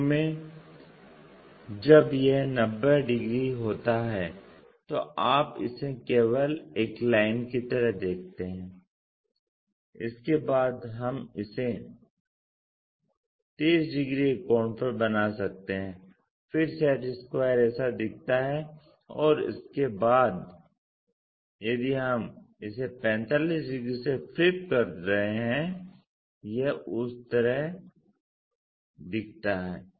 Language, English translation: Hindi, Initially, when it is 90 degrees you just see it likeonly a line after that we can make it into a 30 degree angle then the square looks like this and after that if we are flipping it by 45 degrees it looks in that way